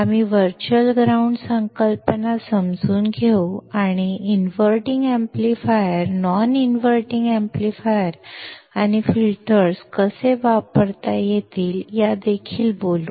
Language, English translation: Marathi, We will understand the virtual ground concept and also talk about how an inverting amplifier, non inverting amplifiers and filters can be used